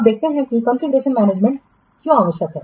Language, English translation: Hindi, So let's see what is configuration management